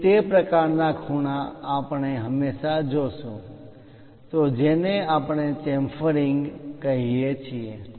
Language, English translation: Gujarati, So, that kind of corners we always see, that is what we call chamfering